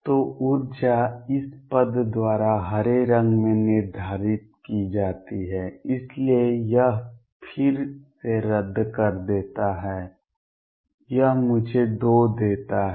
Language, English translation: Hindi, So, the energy is determined by this term in green, so this cancels again this gives me 2